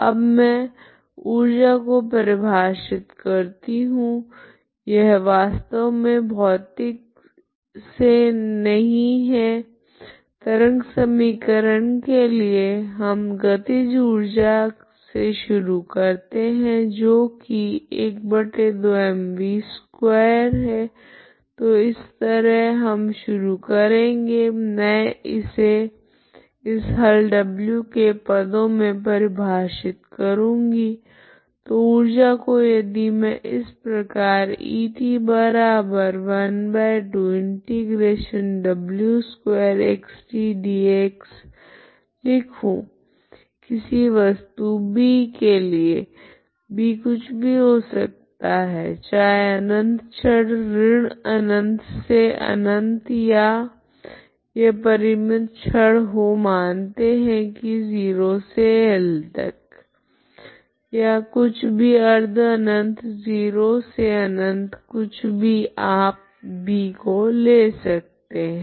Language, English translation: Hindi, Now I define a so called energy this is not actually from physics, okay for the wave equation we started with kinetic energy at half mb square, okay that is how we started here I defined it in terms of this solution w so energy if I write it as E that is equal to half integral over a body, okay this body B, B means this can be anything B can be either infinite rod that is minus infinity infinity or it is a finite rod let us say 0 to L or anything, okay semi infinite so 0 to infinite anything you can take as a B